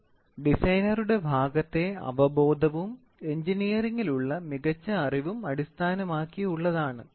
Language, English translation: Malayalam, It is based on intuition and good engineering judgment on the part of the designer